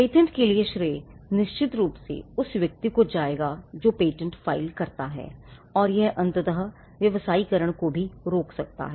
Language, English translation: Hindi, Now, the credit for the patents will definitely go to the person who files the patent, and this could also eventually it could stall commercialization itself